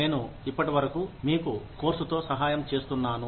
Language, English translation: Telugu, I have been helping you, with the course, till now